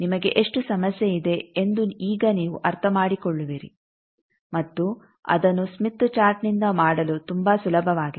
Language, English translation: Kannada, Now you will understand how much problem you have and it is much easier to do it a smith chart